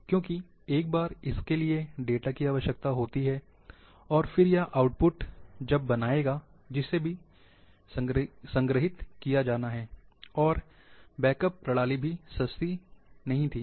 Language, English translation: Hindi, Because once it requires the space for data, and the output it will create; that too has to be stored, and also backup system has well